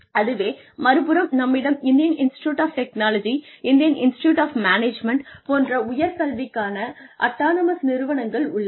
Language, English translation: Tamil, And, on the other side, we have autonomous institutes of higher education like, the Indian Institutes of Technology, and Indian Institutes of Management, where we are given this freedom of thought